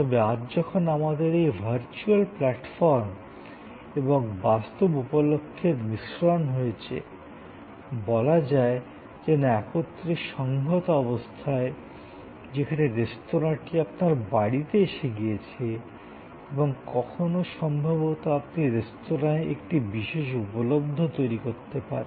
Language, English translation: Bengali, But, today when we have this mix of virtual platform and real occasions, sort of integrated together, where the restaurant comes to your house and sometimes, you may actually create a special occasions in the restaurant